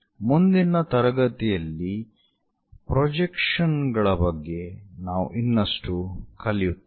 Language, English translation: Kannada, In the next class, we will learn more about projections of the system